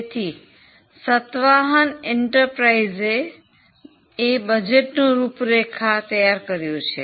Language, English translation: Gujarati, So, Satyahan Enterprises has prepared a draft budget